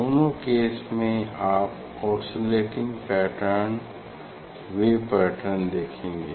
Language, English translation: Hindi, in both cases you will see this wave this pattern ok, oscillating pattern